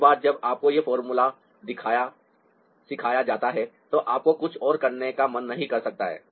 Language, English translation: Hindi, once you are thought this formula, you may not feel like doing anything else